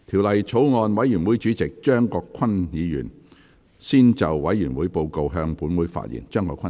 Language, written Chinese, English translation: Cantonese, 法案委員會主席張國鈞議員先就委員會報告，向本會發言。, Mr CHEUNG Kwok - kwan Chairman of the Bills Committee on the Bill will first address the Council on the Committees Report